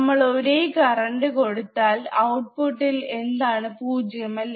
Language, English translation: Malayalam, wWe are we apply equal current then output should be 0, right